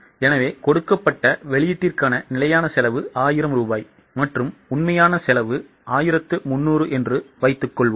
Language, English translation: Tamil, So, suppose for a given output the standard cost is 1,000 rupees and if actual is 1,300